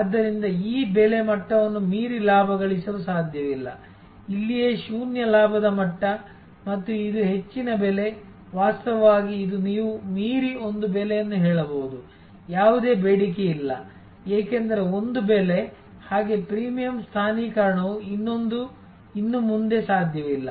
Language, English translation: Kannada, So, it is not possible to profit beyond this price level, this is where a maybe the zero profit level and this is the high price, actually this is you can say a price beyond, which there is no demand, because a price is so high that even the premium positioning is no longer possible